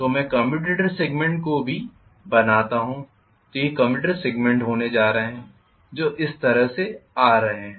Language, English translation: Hindi, So let me draw the commutator segments also so these are going to be the commutator segments which are coming up like this,right